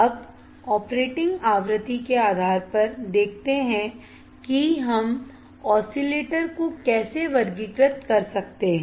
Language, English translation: Hindi, Now, let us see based on operating frequency how we can classify the oscillators